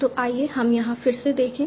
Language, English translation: Hindi, So let us see again here